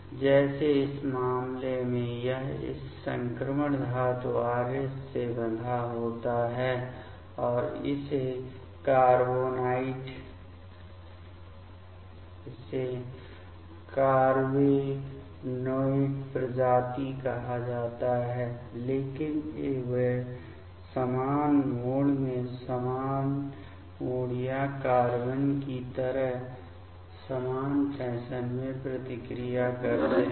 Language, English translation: Hindi, Like in this case it is bound to this transition metal Rh and this is called that carbenoid species, but they react in similar mode of similar mode or similar fashion like carbenes